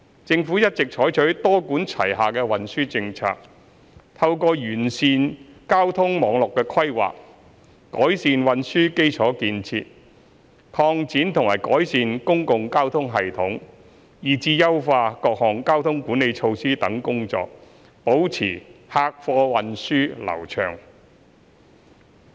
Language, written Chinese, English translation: Cantonese, 政府一直採取多管齊下的運輸政策，透過完善交通網絡規劃、改善運輸基礎設施、擴展和改善公共交通系統，以至優化各項交通管理措施等工作，保持客貨運輸流暢。, The Government has all along adopted a multi - pronged transport policy to maintain a smooth flow of passengers and goods traffic through enhancing transport network planning improving transport infrastructure expanding and enhancing public transport systems as well as optimizing various traffic management measures